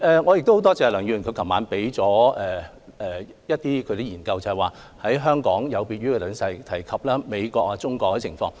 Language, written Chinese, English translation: Cantonese, 我很感謝梁議員昨晚向我提交了一些研究結果，顯示香港有別於美國和中國內地等地的情況。, I thank Dr LEUNG for handing me some research findings last night which indicate that the practice of Hong Kong is different from that of the United States and Mainland China